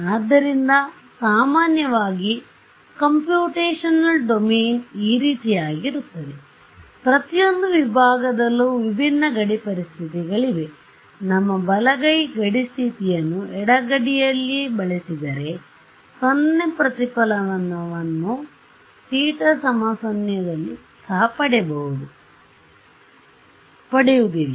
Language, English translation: Kannada, So, in general if my computational domain is something like this, I have different boundary conditions on each of these segments, if I use our right handed boundary condition on the left boundary, I will it is, I will not get even 0 reflection at theta is equal to 0